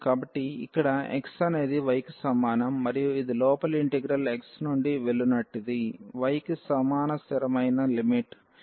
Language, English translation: Telugu, So, this is the line here x is equal to y and this goes the inner integral from x is equal to y to the constant limit a